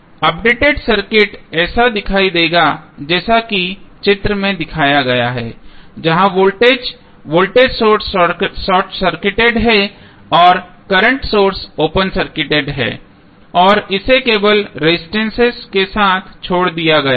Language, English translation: Hindi, The updated circuit would look like as shown in the figure where voltage is voltage source is short circuited and current source is open circuited and we are left with only the resistances